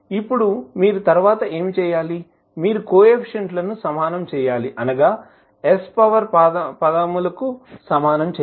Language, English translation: Telugu, Now, what next you have to do, you have to just equate the coefficients of like powers of s